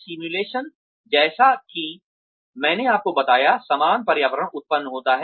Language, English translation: Hindi, Simulations, like I told you, similar environment is generated